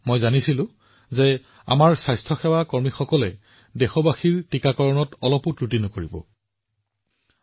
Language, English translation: Assamese, I knew that our healthcare workers would leave no stone unturned in the vaccination of our countrymen